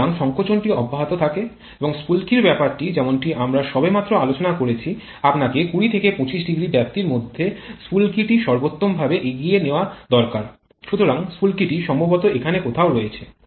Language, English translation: Bengali, So, the compression is continued and the spark thing as we have just discussed you need to advance the spark optimally in the range of 15 20 sorry 20 25 degrees, so the spark is probably somewhere here